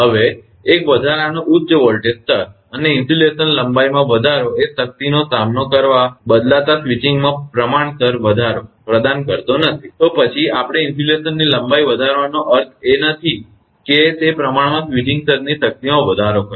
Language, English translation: Gujarati, Now, an extra high voltage levels, and increase in insulation length does not provide a proportional increase in switching surge withstand strength, then we just like increasing the insulation length does not mean, that proportionality increase the switching surge strength